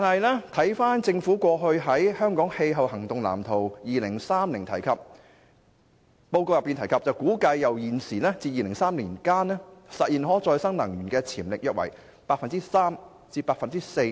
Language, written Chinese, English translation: Cantonese, 可是，政府過去在《香港氣候行動藍圖 2030+》報告中，提到估計由現時至2030年間，香港實現可再生能源的潛力約為 3% 至 4%。, However as the Government estimated previously in Hong Kongs Climate Action Plan 2030 Hong Kong has a 3 % to 4 % potential in realizing the use of renewable energy between now and 2030